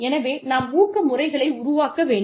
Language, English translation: Tamil, So, we have to develop our incentive systems